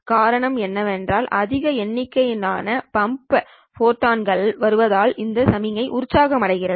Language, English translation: Tamil, The reason why it does not happen is because a larger number of the pump photons coming in means that these signals are getting excited